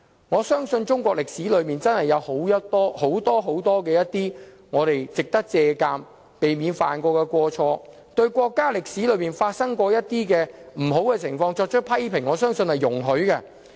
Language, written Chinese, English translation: Cantonese, 我相信中國歷史上，有很多值得我們借鑒及避免犯上的過錯，對國家歷史上發生的不良情況作出批評，我相信是容許的。, I believe that in the history of China there were many wrongdoings that we should stay alert to and seek to avoid . To criticize negative historical events of our country is I believe allowed